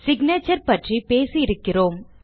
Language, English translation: Tamil, We have already talked about the signature